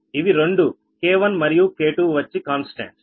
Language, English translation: Telugu, this is two, where k one and k two are constants